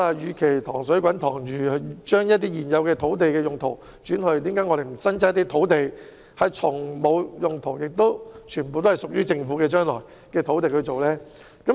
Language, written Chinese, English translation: Cantonese, 與其"塘水滾塘魚"，只是改變現有土地用途，我們何不另闢土地，使用沒有其他用途及全部屬於政府的土地來發展？, Instead of only changing the existing land use of sites in the same pool why do we not consider the development of sites that belong to the Government but have not been designated for other uses?